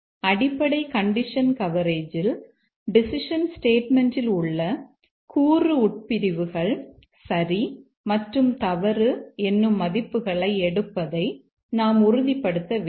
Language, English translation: Tamil, In the basic condition coverage, we must ensure that the component clauses here on the decision statement take true and false values